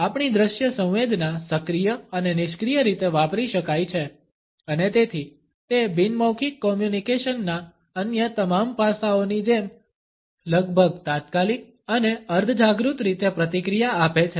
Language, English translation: Gujarati, Our visual sense can be used in an active as well as in a passive manner and therefore, it responses in almost an immediate and subconscious manner like all the other aspects of non verbal communication